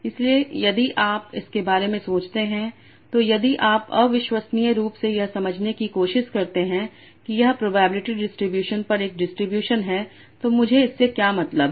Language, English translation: Hindi, So if you think about it so if you intuitively try to understand that this is a distribution over probability distributions